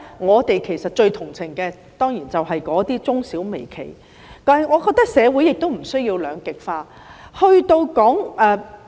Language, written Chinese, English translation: Cantonese, 我們最同情的，當然就是那些中小微企，但我認為社會亦無須兩極化。, As a matter of course we have the greatest sympathy for those medium small and micro enterprises but I also think that there is no need for society to become polarized